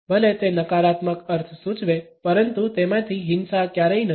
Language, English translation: Gujarati, Even though it may suggest negative connotations, but violence is never one of them